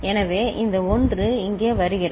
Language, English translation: Tamil, So, this 1 is coming here